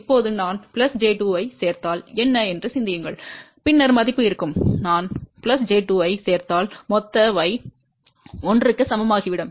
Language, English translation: Tamil, Now, just think about if I add plus j 2, what will be the value then; if I add plus j 2 total y will become equal to 1